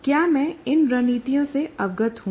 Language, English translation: Hindi, So, am I aware of these strategies